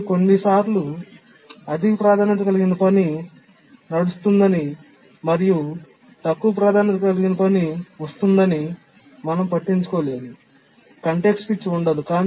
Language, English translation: Telugu, But we are overlooking that sometimes a higher priority task may be running and a lower priority task arrives and there is no context switch